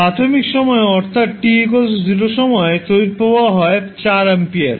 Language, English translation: Bengali, The initial current that is current at time t is equal to 0 is 4 ampere